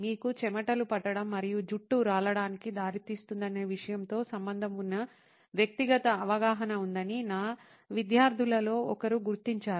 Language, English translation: Telugu, One of my students did do the ground work on figuring this out that there is a personal perception associated with the fact that if you sweat and that leads to hair loss